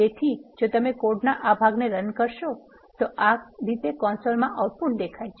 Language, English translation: Gujarati, So, if you execute this piece of code, this is how the output in the console looks